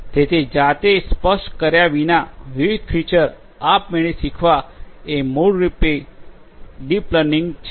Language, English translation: Gujarati, So, learning different features automatically without manually specifying them this is basically the deep learning